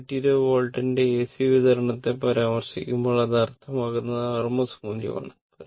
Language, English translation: Malayalam, When an AC supply of 220 volt is referred, it is meant the rms value right